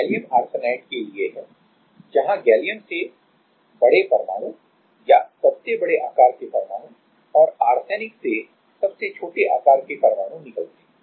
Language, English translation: Hindi, So, this is for gallium arsenide where the big atoms or the biggest size atoms out of gallium and the smallest size atoms out of arsenic